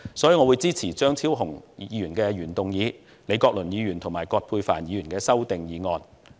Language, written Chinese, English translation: Cantonese, 所以，我支持張超雄議員的原議案，以及李國麟議員和葛珮帆議員的修正案。, Therefore I support the original motion of Dr Fernando CHEUNG and the amendments from Prof Joseph LEE and Dr Elizabeth QUAT